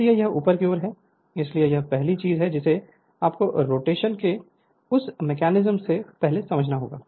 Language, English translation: Hindi, So, here it is upward, so that that is the first thing this thing you have to understand before that mechanism of rotation